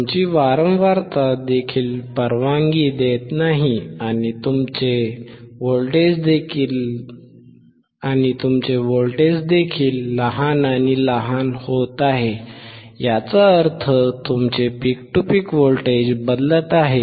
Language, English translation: Marathi, Your frequency is also not allowing and your voltage is also getting smaller and smaller; that means, your peak to peak voltage is getting changed